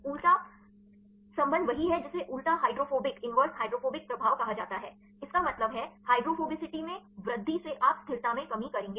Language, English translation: Hindi, Inverse relationship right there is called the inverse hydrophobic effect; that means, the change in increase in hydrophobicity you will decrease the stability